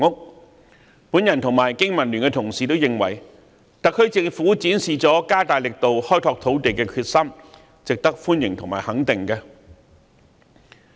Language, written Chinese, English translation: Cantonese, 我和香港經濟民生聯盟的同事均認為，特區政府展示了加大力度開拓土地的決心，值得歡迎和肯定。, Members of the Business and Professionals Alliance for Hong Kong BPA and I welcome and approve of the Governments determination in strengthening efforts at expanding land resources